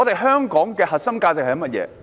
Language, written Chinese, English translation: Cantonese, 香港的核心價值是甚麼？, What are the core values of Hong Kong?